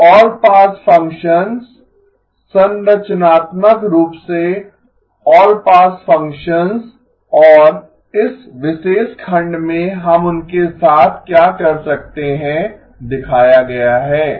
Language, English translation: Hindi, So all pass functions, structurally all pass functions and what we can do with them are shown in this particular section okay